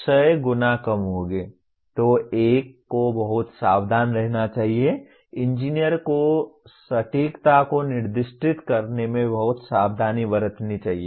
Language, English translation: Hindi, So one should be very careful, the engineer should be very careful in over specifying the accuracy